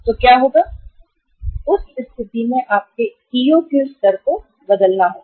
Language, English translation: Hindi, So what will happen, in that case your EOQ level will have to be changed